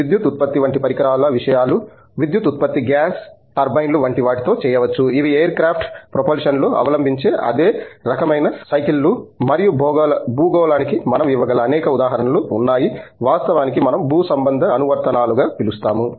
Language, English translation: Telugu, So, things like power generation devices electricity generation can be done with things like gas turbines, which are also the same kind of cycles that are adopted in air craft propulsion and there are many such examples that we can give of terrestrial, what we call as terrestrial applications actually